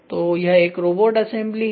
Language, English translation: Hindi, So, this is a robotic assembly